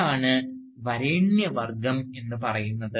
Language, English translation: Malayalam, That is what an elite is